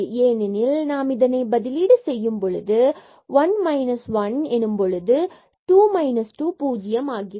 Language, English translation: Tamil, So, we will get as 0 because when we substitute 1 1 there 2 minus 2 that will become 0